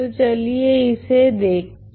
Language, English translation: Hindi, So, let us look at that